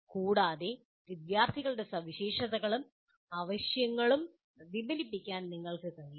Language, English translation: Malayalam, And he should also, should be able to reflect on students' characteristics and needs